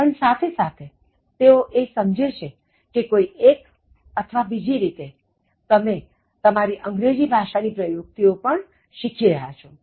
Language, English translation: Gujarati, But, at the same time they understand that, somehow or other you are also trying to improve your English Skills